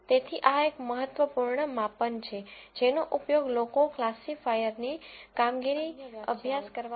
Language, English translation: Gujarati, So, this is an important measure that people use, to study the performance of classifiers